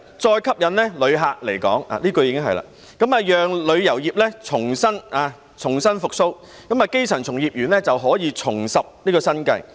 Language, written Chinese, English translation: Cantonese, 再吸引旅客來港——就是這一句——讓旅遊業重新復蘇，基層從業員可以重拾生計。, President I only have one word to say I am returning to the Second Reading now to attract visitors to come to Hong Kong so as to revive Hong Kongs tourism industry so that grass - roots employees can make a living again